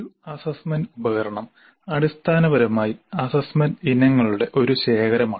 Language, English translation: Malayalam, Now an assessment instrument essentially is a collection of assessment items